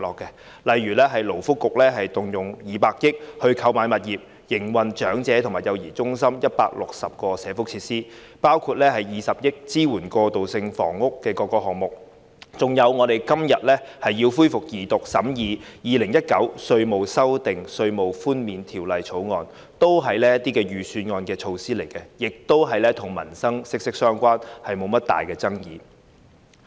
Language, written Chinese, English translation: Cantonese, 舉例來說，勞工及福利局動用200億元購買物業，用以營運長者和幼兒中心等160個社福設施；動用20億元支援各個過渡性房屋項目，以及我們今天恢復二讀辯論審議的《2019年稅務條例草案》，均是預算案中的措施，亦與民生息息相關，沒有甚麼大爭議。, For instance the Labour and Welfare Bureau will spend 20 billion to acquire properties for operating 160 social welfare facilities such as elderly centres and child care centres; allocation of 2 billion to supporting various transitional housing projects and the resumption of Second Reading debate of the Inland Revenue Amendment Bill 2019 the Bill we are considering today . All of these are measures proposed in the Budget and they are also closely related to peoples livelihood over which there is little controversy